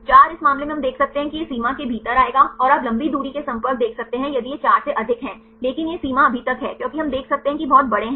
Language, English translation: Hindi, 4 right in this case we can see it will come within this range, and you can see long range contacts if it is more than 4, but this limit is so far, the because we can see there are very large